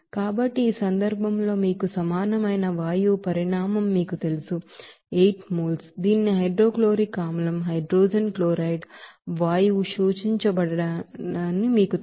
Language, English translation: Telugu, So in this case, volume of gas that will be is equal to you know 8 mole of this you know hydrochloric acid hydrogen chloride gas to be absorbed